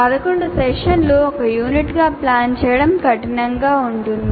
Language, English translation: Telugu, Planning 11 sessions as one, one college package or one unit can be tough